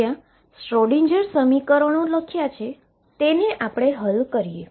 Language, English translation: Gujarati, So, let us now solve this where writing the Schrodinger equations